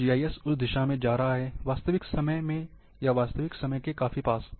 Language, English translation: Hindi, So, GIS is going in that way, in the real time, or near real time